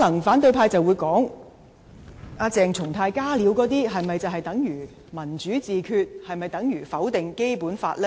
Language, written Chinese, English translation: Cantonese, 反對派可能會說，鄭松泰那些"加料"是否等同"民主自決"、否定《基本法》呢？, The opposition camp may ask Are those additions made by CHENG Chung - tai tantamount to self - determination and denial of the Basic Law?